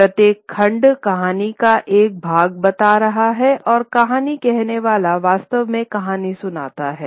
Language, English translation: Hindi, Each segment is telling one part of the story and the storyteller actually narrates the story